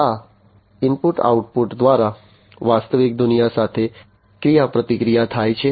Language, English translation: Gujarati, Through this input output, there is interaction with the real world, right